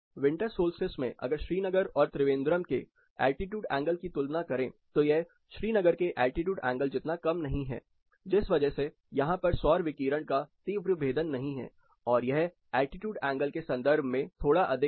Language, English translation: Hindi, Winter solstice, the altitude angle if you compare with Srinagar is not as slow as you looked at Srinagar, you do not get such a low steep penetration of solar radiation, it is slightly higher in terms of altitude angle